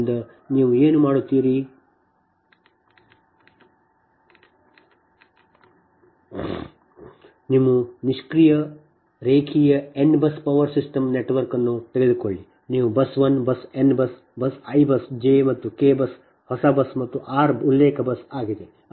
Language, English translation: Kannada, you take a passive linear n bus power system network, right, you have bus one bus, n bus, i bus, j and k bus is a new bus and r is the reference bus